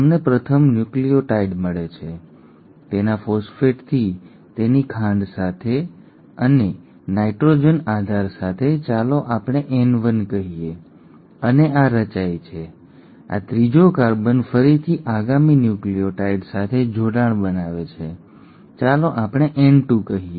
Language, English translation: Gujarati, You get the first nucleotide, with its phosphate, with its sugar and with its nitrogenous base let us say N1, and this forms, this third carbon forms again a bond with the next incoming nucleotide, let us say N2